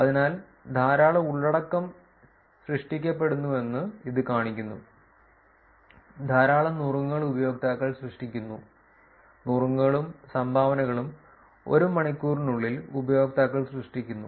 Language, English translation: Malayalam, So, that is it shows the there is a lot of content that are generated, lot of tips are generated by users, tips and dones are generated by users within apart 1 hour